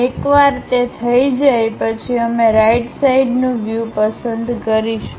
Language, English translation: Gujarati, Once that is done we will pick the right side view